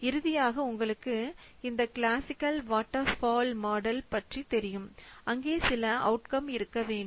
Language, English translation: Tamil, So, finally, as you know that every stage of this classical waterfall model, it contains some output should be there